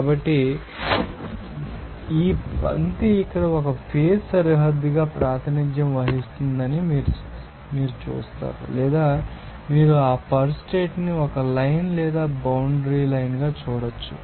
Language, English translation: Telugu, So, and you will see that this line will be represented here as a phase boundary or you can see that condition you know a line or boundary line